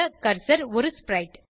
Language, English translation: Tamil, Cursor is a sprite